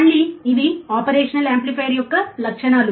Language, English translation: Telugu, Again, these are the characteristics of an operational amplifier